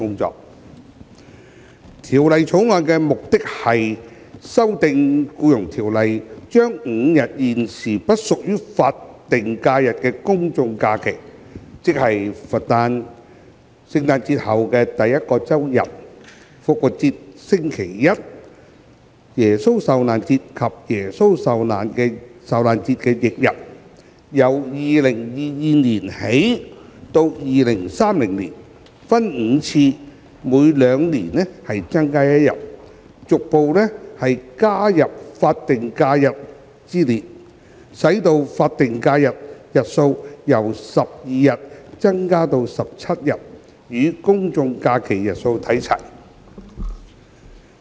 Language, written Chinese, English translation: Cantonese, 《2021年僱傭條例草案》的目的是修訂《僱傭條例》，將5日現時不屬於法定假日的公眾假期，即佛誕、聖誕節後第一個周日、復活節星期一、耶穌受難節及耶穌受難節翌日，由2022年起至2030年，分5次每兩年增加一日，逐步加入法定假日之列，使法定假日日數由12日增加至17日，與公眾假期日數看齊。, The Employment Amendment Bill 2021 the Bill seeks to amend the Employment Ordinance by adding five general holidays GHs which are currently not statutory holidays SHs namely the Birthday of the Buddha the first weekday after Christmas Day Easter Monday Good Friday and the day following Good Friday so as to increase progressively from 2022 to 2030 the number of SHs from 12 days by five increments at two - year interval each until it reaches 17 days on a par with the number of GHs